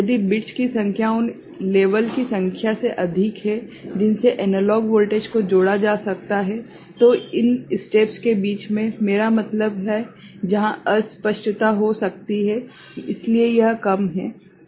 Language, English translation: Hindi, If the number of bits are more than number of levels to which the analog voltage can be associated with are more, so the in between steps are I mean, where the ambiguity could be there ok, so that is less ok